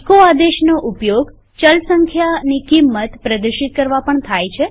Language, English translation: Gujarati, We can also use the echo command to display the value of a variable